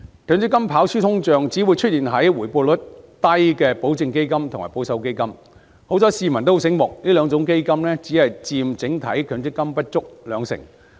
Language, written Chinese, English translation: Cantonese, 強積金跑輸通脹只會出現在回報率低的保證基金和保守基金，幸好市民很聰明，這兩種基金只佔整體強積金不足 20%。, MPF underperforms inflation only in terms of the low - return guaranteed funds and conservative funds . Fortunately the public is very smart . These two funds only account for less than 20 % of the overall MPF